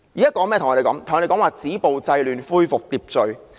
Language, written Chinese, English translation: Cantonese, 政府現在對我們說"止暴制亂，恢復秩序"。, The Government now tells us to stop violence curb disorder and restore order